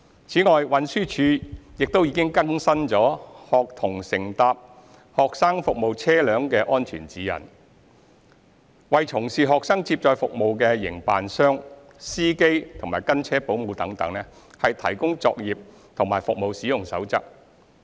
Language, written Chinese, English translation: Cantonese, 此外，運輸署亦已更新《學童乘搭"學生服務車輛"的安全指引》，為從事學生接載服務的營辦商、司機及跟車保姆等，提供作業和服務使用守則。, In addition TD has also updated the Guidelines for Ensuring Safety of Students on Student Service Vehicles which serves as a code of practice and user guide for student transport service operators drivers escorts etc